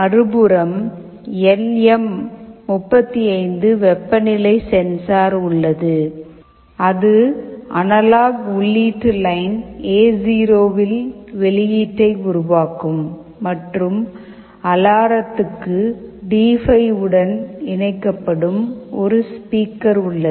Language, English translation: Tamil, On the other side you have the LM35 temperature sensor that will be generating the output on analog input line A0, and for alarm you have a speaker that is connected to D5, which is a PWM control output port